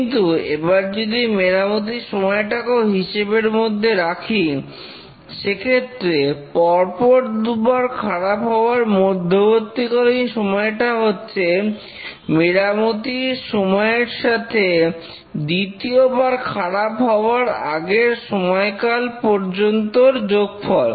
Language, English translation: Bengali, But if we really consider the time to repair, then the mean time between failure is the mean time to failure plus the mean time to repair